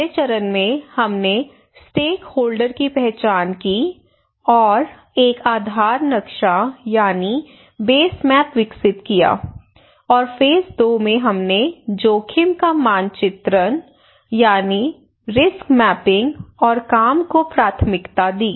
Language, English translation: Hindi, That was the phase one and that we first identified the stakeholder and we developed a base map and also Phase two we developed a risk mapping and prioritisation of work